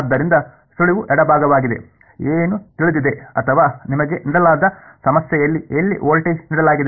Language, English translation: Kannada, So, the hint is the left hand side, what is known or rather what is given to you in the problem where is the voltage given